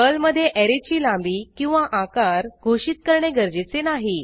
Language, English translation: Marathi, In Perl, it is not necessary to declare the length of an array